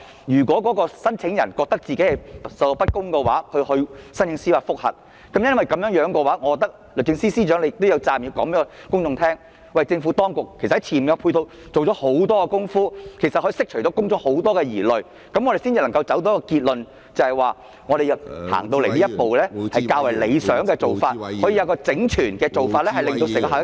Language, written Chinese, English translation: Cantonese, 如果聲請人覺得受到不公平對待而提出司法覆核，律政司司長也有責任告訴公眾，政府當局在前期已經做了很多工作，以釋除公眾疑慮，這樣我們才能夠得出一個結論，認為作出有關修訂是較為理想的做法，可提高整體效益......, If there are claimants seeking JR because of perceived unfair treatment the Secretary for Justice should ease public worries by reassuring the people that substantial preliminary work has been done on the part of the Administration . This is the only way to convince us that the amendment in question is desirable and can enhance the overall efficiency